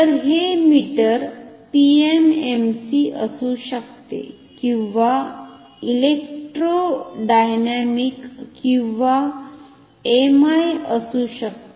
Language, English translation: Marathi, So, this meter can be PMMC this can or electrodynamic or MI